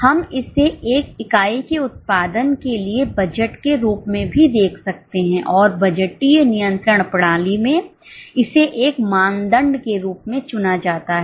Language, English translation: Hindi, We can also look at it as a budget for production of one unit and it is chosen as a benchmark in the budgetary control system